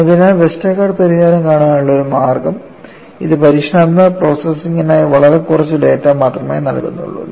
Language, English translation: Malayalam, So, one way of looking at Westergaard solution is, it provides you very little data for experimental processing